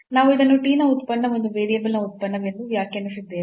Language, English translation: Kannada, So, therefore, we have defined this as function of t, function of one variable